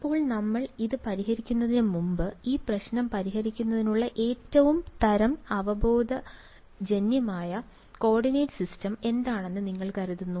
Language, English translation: Malayalam, Now, let us before we get into solving this, what do you think is the most sort of intuitive coordinate systems to solve this problem